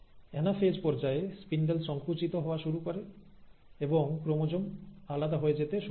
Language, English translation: Bengali, Then comes the anaphase and at the stage of anaphase, the spindle starts contracting and the chromosome starts getting pulled apart